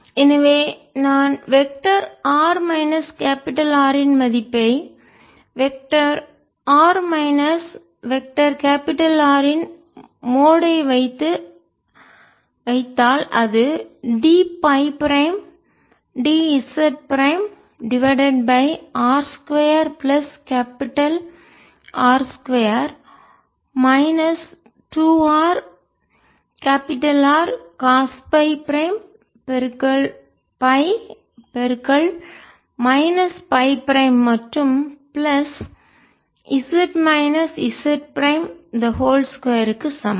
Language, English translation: Tamil, so so if i put the value of vector r minus capital r, mod of vector r minus vector capital r, so that is the d phi prime d z prime over r square plus capital r square minus two r capital r cost phi prime phi minus phi prime plus z minus z prime, whole square